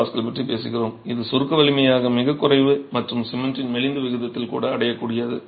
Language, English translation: Tamil, 7 MPA, which is very low as a compressive strength and achievable even with lean proportions of cement to sand